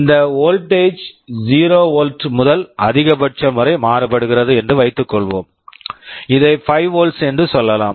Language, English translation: Tamil, Let us assume this voltage is varying from 0 volt up to some maximum let us say 5 volts